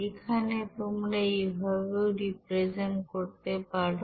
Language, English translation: Bengali, Here in this way also you can represent